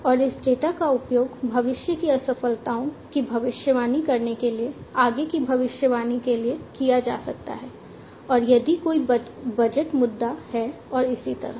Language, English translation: Hindi, And this data can be used for further prediction to predict future failures, and if there is any budget issue and so on